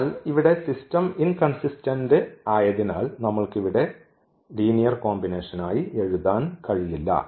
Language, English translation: Malayalam, So, here the system is inconsistent and we cannot write down this as linear combination given there